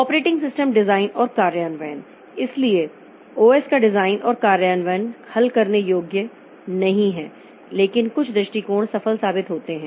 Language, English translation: Hindi, So, design and implementation of OS is not solvable but some approaches have proven successful